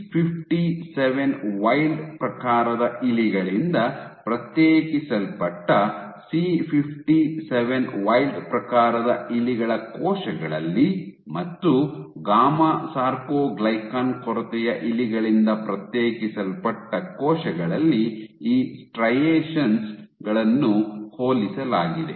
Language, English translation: Kannada, So, when these striation was compared in wild type in C57 wild type mice cells isolated from C57 wild type mice and cells isolated from gamma soarcoglycan deficient mice